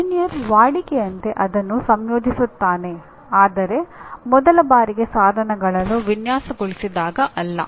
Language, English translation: Kannada, Maybe an engineer routinely incorporates that but not when you first time design your equipment